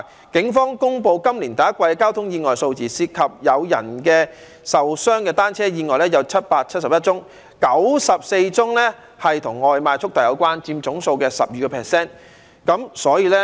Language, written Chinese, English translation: Cantonese, 警方公布，今年第一季交通意外數字涉及有人受傷的電單車意外有771宗 ，94 宗與外賣速遞有關，佔總數的 12%。, According to a police announcement on the number of traffic accidents in the first quarter of this year there were 771 motorcycle accidents involving injuries and 94 cases or 12 % of this number were associated with food delivery